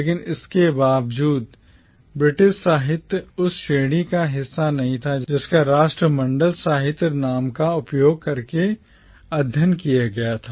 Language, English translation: Hindi, But, in spite of that, British literature was never a part of the category that was studied and discussed using the name Commonwealth literature